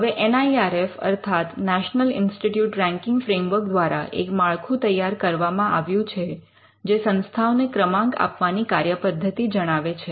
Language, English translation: Gujarati, Now, the NIRF, the National Institute Ranking Framework has come up with the framework which outlines a methodology for ranking institutions